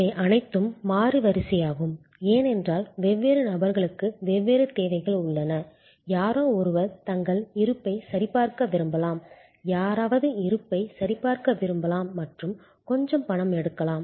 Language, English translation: Tamil, These are all variable sequence, because different people have different needs, somebody may be wanting to check their balance, somebody may want to check balance as well as draw some money